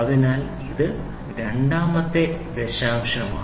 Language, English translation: Malayalam, So, it is the second decimal